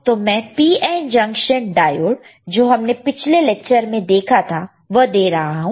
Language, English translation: Hindi, So, I am giving him the PN junction diode which we have seen in the last lecture, the PN junction diode